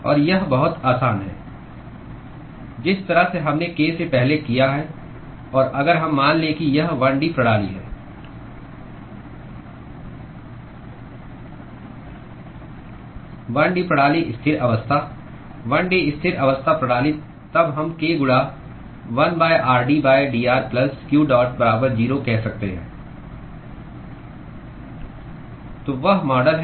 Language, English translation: Hindi, And it is very simple, the way we have done before k and if we assume that it is a 1 D system: 1 D system steady state 1 D steady state system then we can say k into 1 by r d by dr plus q dot equal to 0